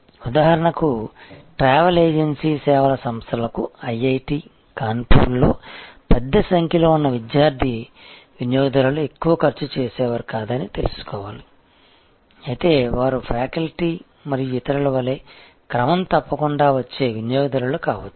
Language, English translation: Telugu, For example, a travel agency servings IIT, Kanpur has to know that the student customers who are big in number, they are not high spenders, but they can be regular customers, similarly if the faculty and so on